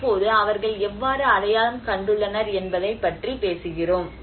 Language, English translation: Tamil, Now, for example when we talk about how they have identified